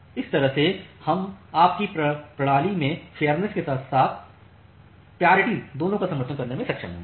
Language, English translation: Hindi, So, that way we will be able to support both priority as well as fairness in your system